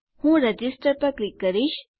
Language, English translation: Gujarati, I will click Register